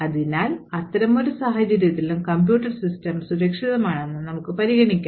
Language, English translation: Malayalam, Therefore, in such a scenario also we can consider that the computer system is still secure